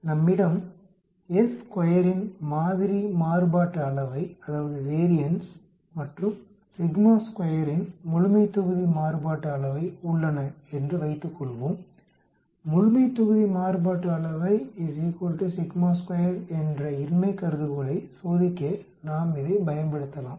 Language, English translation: Tamil, Suppose, we have a sample variance of s2and a population variance of sigma square, we can use this to testing the null hypothesis that the population variance is equal to sigma square